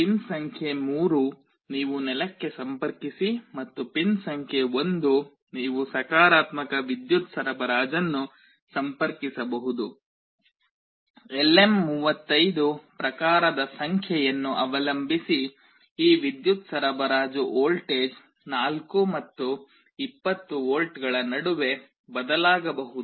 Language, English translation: Kannada, Pin number 3 you connect to ground and pin number 1 you can connect a positive power supply; depending on the type number of LM35 this power supply voltage can vary between 4 and 20 volts